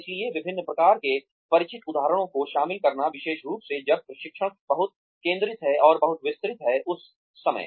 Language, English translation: Hindi, So, inclusion of a variety of familiar examples, especially, when the training is very focused and very detailed, at that point of time